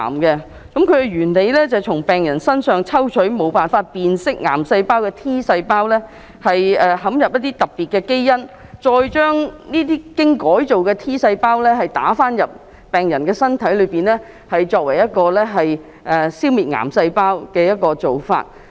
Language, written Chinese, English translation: Cantonese, 它的原理是，從病人身上抽取無法辨認癌細胞的 T 細胞，植入一些特別基因，再將這些經改造的 T 細胞注射入病人身體，作為一個消滅癌細胞的方法。, They involve drawing a patients T cells which cannot identify cancer cells for genetic modification and then infusing the modified T cells back into the patient to eliminate the cancer cells in the patients body